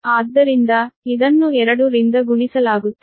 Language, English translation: Kannada, so it will be multiplied by two